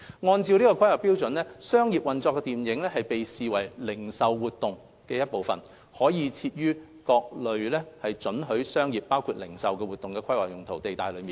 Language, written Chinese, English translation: Cantonese, 按照《規劃標準》，商業運作的電影院被視為零售活動的一部分，可設於各類准許商業活動的規劃用途地帶內。, According to HKPSG cinemas operating on a commercial basis are categorized as retail activities and can be built within land use zones where commercial uses including retail are permitted